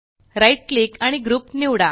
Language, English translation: Marathi, Right click and select Group